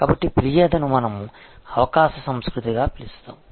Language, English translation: Telugu, So, this is, but we call complained as an opportunity culture